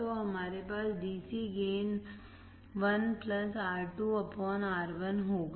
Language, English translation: Hindi, So, we have DC gain of (1+(R2/R1))